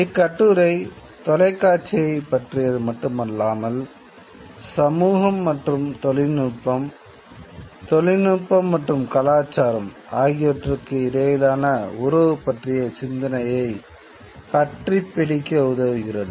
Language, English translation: Tamil, This essay not only deals with television, it also helps us come to grips with the idea about the relationship between technology and society, technology and culture